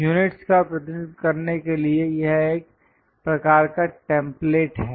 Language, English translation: Hindi, This is a one kind of template to represent units